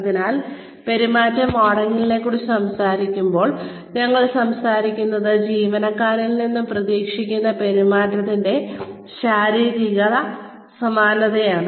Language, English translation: Malayalam, So, when we talk about behavior modelling, we are talking about physical similarity of the behavior, that is expected of the employee